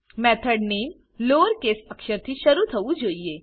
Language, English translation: Gujarati, Method name should begin with a lowercase letter